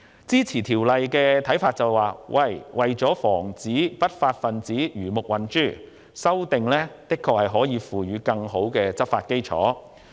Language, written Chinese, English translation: Cantonese, 支持《條例草案》的意見認為，為防不法分子魚目混珠，修訂的確有助提供更好的執法基礎。, Those supporting the Bill think that in order to prevent criminals from falsely identifying themselves amending the laws will actually help to provide a better basis for law enforcement